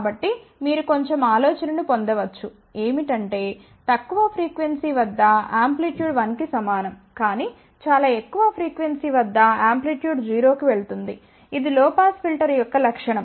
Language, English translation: Telugu, So, you can actually get a little bit of an idea that at low frequency amplitude is nothing but one at at very high frequency amplitude goes to 0, which is a characteristic of a low pass filter